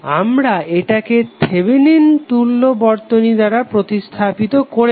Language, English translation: Bengali, We are just simply replacing it with the Thevenin equivalent